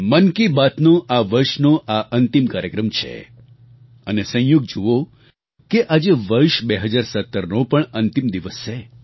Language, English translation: Gujarati, This is the last edition of 'Mann Ki Baat' this year and it's a coincidence that this day happens to be the last day of the year of 2017